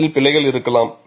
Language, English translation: Tamil, There could be errors in that